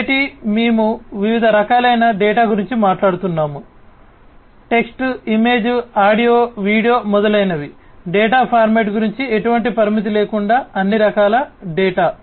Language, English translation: Telugu, Variety, we are talking about different varieties of data text, image, audio, video etcetera, etcetera all different types of data without any restriction about the data format